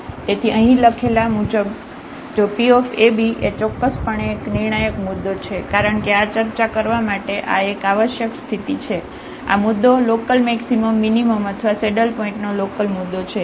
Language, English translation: Gujarati, So, here as written there if ab is a critical point so definitely because this is a necessary condition to discuss that, this point is a local point of local maximum minimum or a saddle point